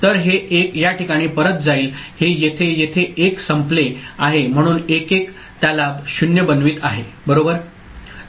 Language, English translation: Marathi, So, this 1 is again going back to this place this 1 is over here so 1 1 is making it 0 right